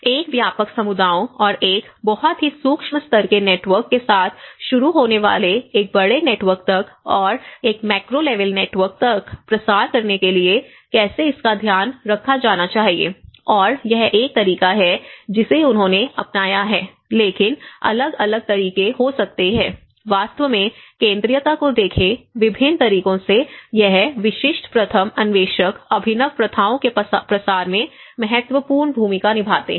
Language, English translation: Hindi, And how it has to be taken care of to disseminate to a wider communities and to a larger network starting from a very micro level network and to a macro level network and this is one of the method which they have adopted but there are different ways one can actually look at the centrality, the degree of you know and also the putting setting up the thresholds of it, the various methods of how this particular pioneers play an important role in the diffusion of the innovative practices